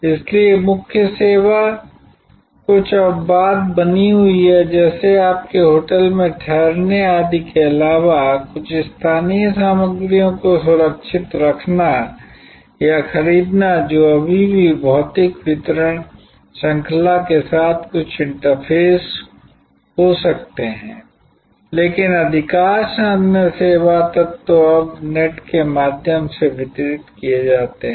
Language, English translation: Hindi, So, the core service remains few exceptions, like some safe keeping or procuring of some local material in addition to your hotel stay etc that may still have some interface with physical distribution chain, but most other service elements are now delivered through the net